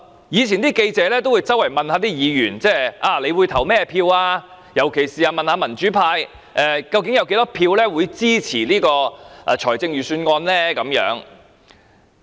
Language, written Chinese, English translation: Cantonese, 以往記者會四處問議員如何表決，特別是問民主派議員究竟會有多少票支持預算案。, In the past reporters would ask Members earnestly about their voting intentions . They would particularly ask Members of the democratic camp their number of votes in support of the Budget